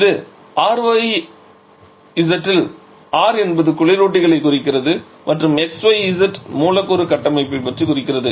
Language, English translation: Tamil, And this is the convention R xyz where R refers to refrigerants and xyz refers or give some idea about the molecular structure